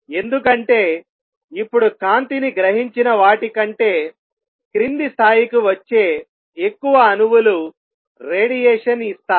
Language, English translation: Telugu, That is because now more atoms will be coming down and giving out radiation than those which are absorbing light